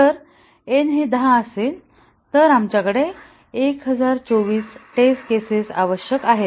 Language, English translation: Marathi, So, if n is 10, we need 1024 test cases